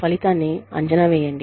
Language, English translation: Telugu, Assess the outcome